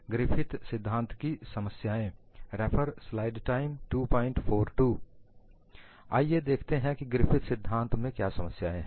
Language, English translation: Hindi, And let us see, what are the difficulties in Griffith theory